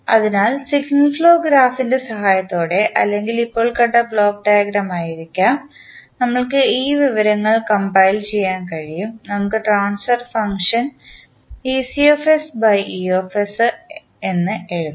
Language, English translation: Malayalam, So, with the help of signal flow graph and or may be the block diagram which we just saw, we can compile this information, we can write ec by e that is the transfer function for output ec